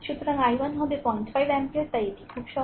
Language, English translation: Bengali, So, i is equal to 5 ampere right